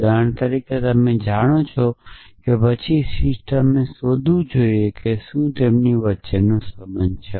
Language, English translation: Gujarati, For example, you know then the system should find whether what is the relation between them